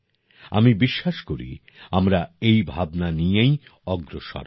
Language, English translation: Bengali, I am sure we will move forward with the same spirit